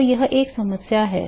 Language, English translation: Hindi, So, that is a problem